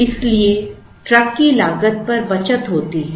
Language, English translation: Hindi, So, there is a saving on the truck cost